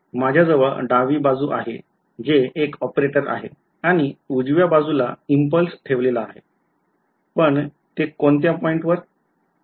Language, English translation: Marathi, I have a left hand side which is some operator and right hand side is an impulse placed at which point